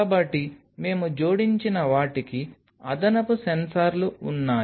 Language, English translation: Telugu, So, we had additional sensors what we added